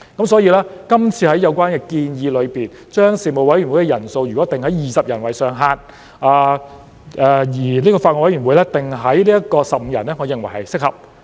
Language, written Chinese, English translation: Cantonese, 所以，今次有關建議將事務委員會人數上限訂定為20人，而法案委員會訂定為15人，我認為是合適的。, For this reason I think that the proposal to cap the size of Panels at 20 members and that of BCs at 15 members is appropriate